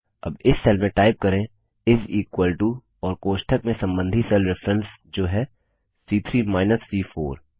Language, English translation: Hindi, Now in this cell, type is equal to and within braces the respective cell references, that is, C3 minus C4